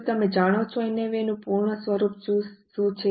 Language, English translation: Gujarati, Do you know what is a full form of NAB